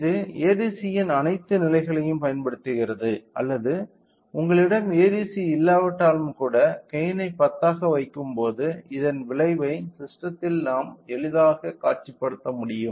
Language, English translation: Tamil, So, that it utilises all the levels of ADC or even if you do not have an ADC we can easily visualize the effect of having a gain of 10 in to the system